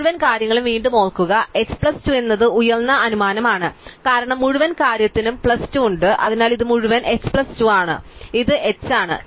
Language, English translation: Malayalam, So, with the whole thing remember again is h plus 2 the high assumption, because the whole thing has plus 2, so this whole thing is h plus 2 and this thing is h